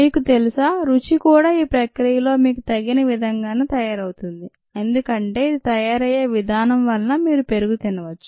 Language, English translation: Telugu, the taste is made appropriate in the process because of the way in which it gets done, and then you could eat curd